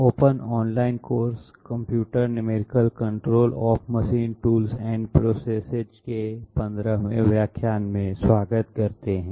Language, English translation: Hindi, Welcome viewers to the 15th lecture in the open online course Computer numerical control of machine tools and processes